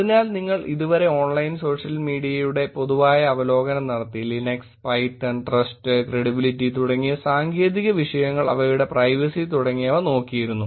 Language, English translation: Malayalam, So, until now you have done general overview of Online Social Media some Linux, Python, technical topics like trust and credibility which just looked at privacy